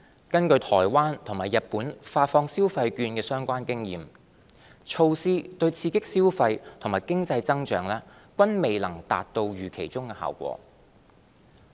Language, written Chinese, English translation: Cantonese, 根據台灣和日本發放消費券的相關經驗，措施對刺激消費及經濟增長均未能達到預期中的效果。, According to the experience of Taiwan and Japan in issuing consumption vouchers such measure did not achieve the projected effect of stimulating spending and economic growth